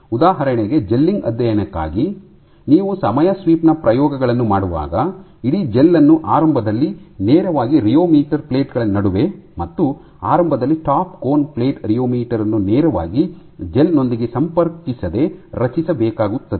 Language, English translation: Kannada, For gelling studies for example, when you are doing time sweep experiments the entire gel needs to be initially formed directly between the rheometer plates, between the rheometer plates and initially without putting the top cone plate rheomet cone directly in contact with the gel